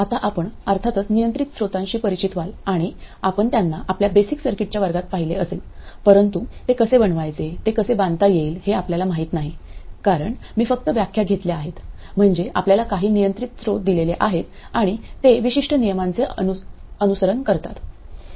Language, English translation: Marathi, Now you would of course be familiar with those that is control sources and you would have seen them in your basic circuits class but you don't know how to make them, how to construct them because they are just taken as definitions that is some control sources given to you and they follow a certain rule